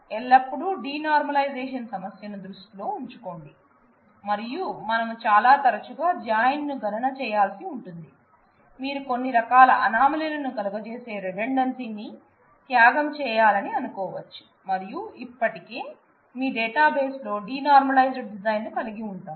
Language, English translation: Telugu, So, always keep the issue of denormalization in view, and we do a careful design that if it is very frequent that, you will have to compute a join then, you might want to sacrifice some of the redundancy some of the you know possibilities of having anomaly, and still have a you know denormalized design in your database